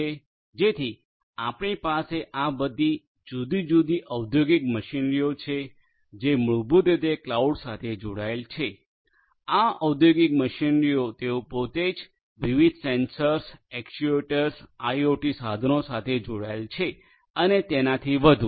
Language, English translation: Gujarati, So, you have all these different industrial machinery that are basically connected to the cloud, these industrial machinery they themselves are attached to different sensors, actuators, IoT devices overall and so on